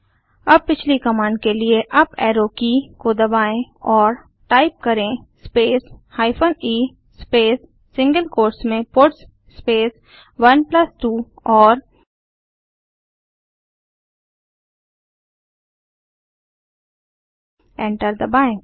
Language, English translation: Hindi, Lets try this out Now press the up Arrow key to get the previous command and Type space hyphen e space within single quotes puts space 1+2 and Press Enter